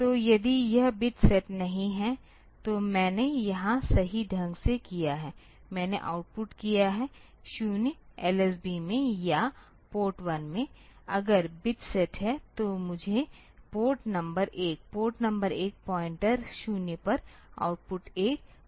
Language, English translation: Hindi, So, if this bit is not set then I have done here correctly I have outputted is 0 to LSB or Port 1, if the bit is set then I have to output A 1 at the Port number 1 point of A Port bit 1 point 0